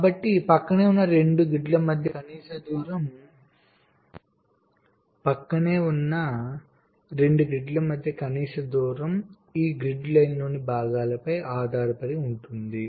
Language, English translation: Telugu, so the minimum distance between two adjacent grids depends on the components on these grid lines